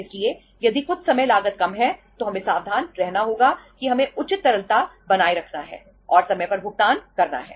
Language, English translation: Hindi, So if sometime cost is lesser then we have to be careful we have to maintain the proper liquidity and make the payment on time